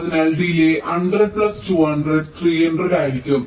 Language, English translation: Malayalam, so the delay will be hundred plus two hundred three hundred